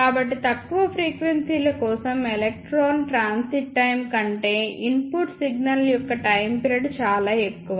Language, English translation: Telugu, So, for low frequencies the time period of the input signal is very very greater than the electron transit time